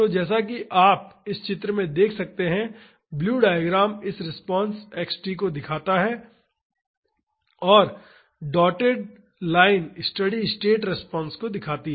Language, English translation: Hindi, So, as you can see in this figure the blue diagram shows this response x t and the dotted line shows the steady state response